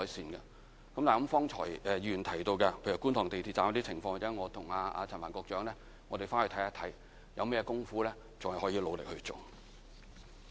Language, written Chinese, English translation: Cantonese, 至於方才議員提到，在觀塘地鐵站的情況，我或者稍後與陳帆局長看看有甚麼地方可再努力去做。, With regard to the situation at Kwun Tong MTR Station as pointed out by a Member a moment ago I may have to discuss with Secretary Frank CHAN later to identify the areas we should work more on